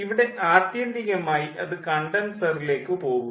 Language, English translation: Malayalam, here, ultimately it is going to condenser